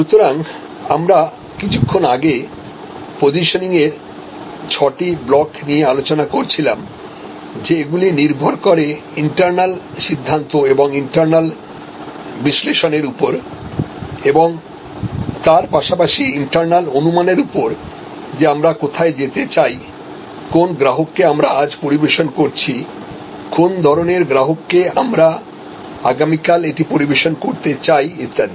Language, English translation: Bengali, So, positioning therefore, as we were discussing little while back when we look that those six blocks depend on internal decisions and internal analysis as well as internal assumes that is where we want to go, which customers we are serving today, which kind of customers we want to serve tomorrow it etc, these are all internal decisions